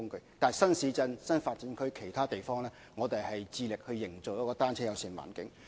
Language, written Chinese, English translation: Cantonese, 但是，在新市鎮、新發展區或其他地方，我們致力營造"單車友善"環境。, However we will strive to build a bicycle - friendly environment in new towns new development areas or other districts